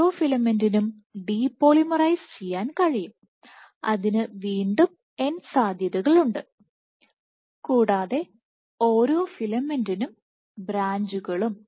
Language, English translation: Malayalam, Each filament can depolymerize, again there are n possibilities, and each filament can branch